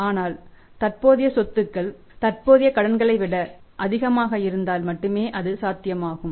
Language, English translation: Tamil, But that will be only possible if they are current assets are more than the current liabilities